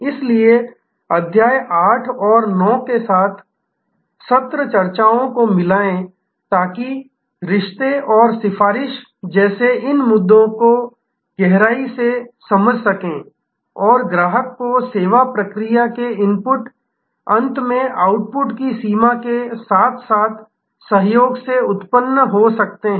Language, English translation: Hindi, So, combine the session discussions with the chapter 8 and 9 to get a good, in depth understanding of these issues like relationship and advocacy that can arise by co opting the customer at both the input end of the service process as well as the output end